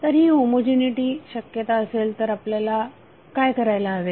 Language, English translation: Marathi, So this would be the case of homogeneity what we have to do